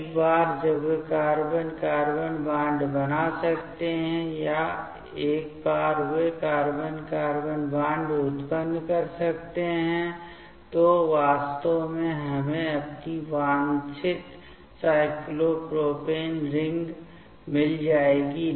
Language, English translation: Hindi, Once they can make the carbon carbon bond form or once they can generate that carbon carbon bond, actually we will get our desired cyclopropane ring